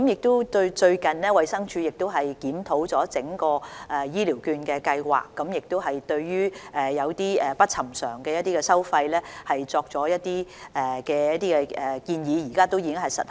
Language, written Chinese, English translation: Cantonese, 最近，衞生署就整項醫療券計劃進行檢討，對一些不尋常的收費作出建議，現時亦已實行。, Recently DH has conducted a review on the entire Scheme and made recommendations on certain unusual charges . Such recommendations have been implemented now